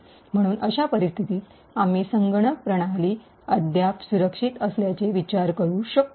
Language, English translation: Marathi, Therefore, in such a scenario also we can consider that the computer system is still secure